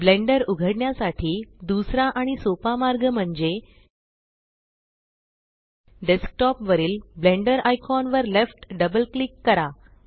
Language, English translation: Marathi, The second and easier way to open Blender is Left double click the Blender icon on the desktop